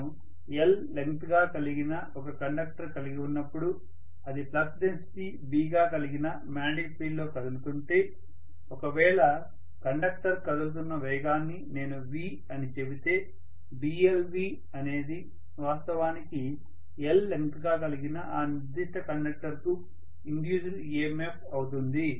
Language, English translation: Telugu, So this you guys must have definitely studied that EMF induced when I have a conductor whose length is l and if it is moving in a magnetic field whose magnetic flux density is B and if I say that the velocity with which the conductor is moving is v, Blv is going to be actually the induced EMF for this particular conductor of length l,right